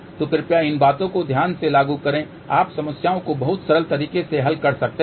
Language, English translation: Hindi, So, please apply these things carefully you can solve the problems in a very simple manner